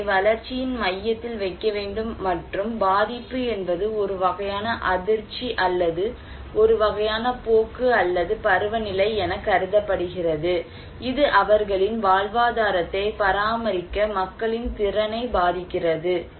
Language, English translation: Tamil, People should be put into the center of the development and vulnerability is considered as a kind of shock or a kind of trend or seasonality that influence the capacity of the people to maintain their livelihood